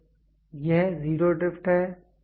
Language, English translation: Hindi, So, that is zero drift